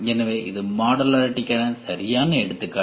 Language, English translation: Tamil, So, this is a perfect example for modularity